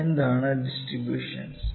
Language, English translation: Malayalam, Now, what are distributions